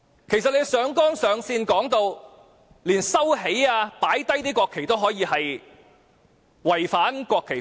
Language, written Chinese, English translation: Cantonese, 其實，按照他上綱上線的說法，不論是把國旗收起或放下也是違反國旗法。, Actually according to their overstating presentation it is a violation of the national flag law no matter the national flag is recovered or lowered